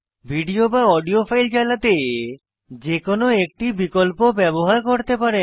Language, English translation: Bengali, You can use any of these options to play your video or audio files